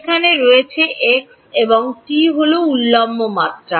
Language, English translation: Bengali, There is there is x and t is the vertical dimension